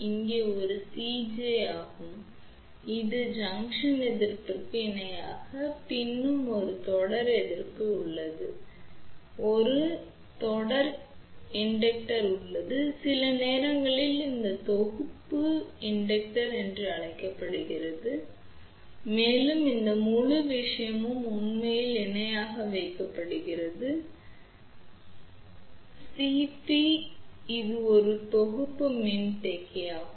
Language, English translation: Tamil, This is a C j which is a junction capacitance, in parallel with junction resistance, then there is a series resistance, there is a series inductance, sometimes this is also known as package inductance also and this whole thing is actually put in parallel with the C p, which is a package capacitor